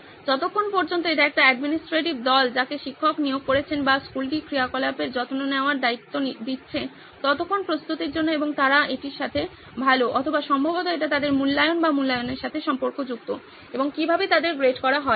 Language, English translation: Bengali, In terms of time to prepare as long as it is an administrative team that the teacher is assigning or the school as such is assigning to take care of this activity, and they are fine with it, or probably it ties back to their evaluation or assessment and how they are graded and